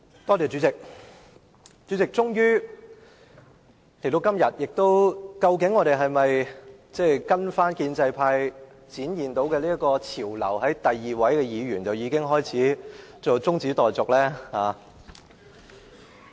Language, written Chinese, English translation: Cantonese, 代理主席，今天我們應否跟隨建制派帶領的潮流，在第二位議員發言後便提出中止待續的議案呢？, Today Deputy President should we follow the practice led by the pro - establishment camp by proposing a motion for adjournment following the speech delivered by the second Member?